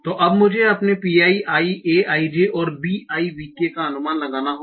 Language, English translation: Hindi, So now I have to estimate my Pi I I J and V I V K